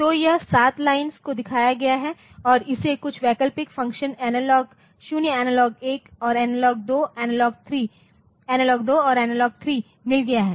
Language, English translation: Hindi, So, it is a here this is 7 lines as shown and it has got some alternate function analog 0, analog 1 and analog 2, analog 3